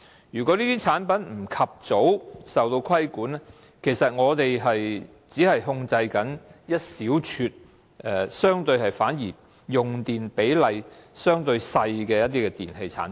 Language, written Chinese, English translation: Cantonese, 如果這些產品不及早受到規管，我們只是在管制一小撮用電量相對少的電器產品。, If these products are not regulated in a timely manner we will only be regulating a small number of electrical products which consume relatively little electricity